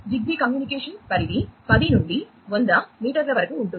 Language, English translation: Telugu, The communication range in ZigBee varies from 10 to 100 meters